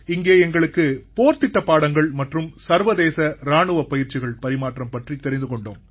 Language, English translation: Tamil, Here we learnt an exchange on combat lessons & International Military exercises